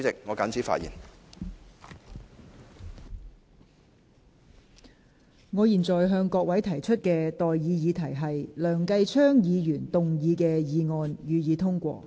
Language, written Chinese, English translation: Cantonese, 我現在向各位提出的待議議題是：梁繼昌議員動議的議案，予以通過。, I now propose the question to you and that is That the motion moved by Mr Kenneth LEUNG be passed